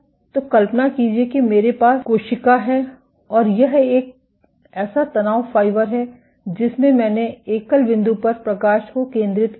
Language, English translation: Hindi, So, imagine I have the cell and this is one such stress fiber in which I had focused light at the single point